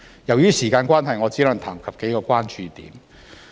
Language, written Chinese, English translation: Cantonese, 由於時間關係，我只能談及數個關注點。, Owing to time constraint I can only touch on a few of my concerns